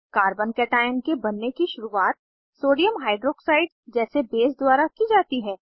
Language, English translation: Hindi, Formation of a Carbo cation is initialized by a base like Sodium Hydroxide